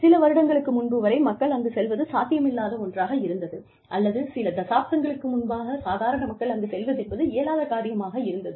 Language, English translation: Tamil, And, till a few years ago, it was almost impossible for people to, or a few decades ago, it was impossible for normal people, to go there